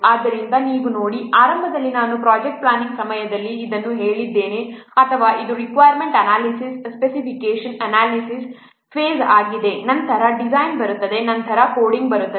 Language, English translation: Kannada, So you see, initially I have told this is during the project planning or this what requirement specification analysis phase, then design will come, then coding will come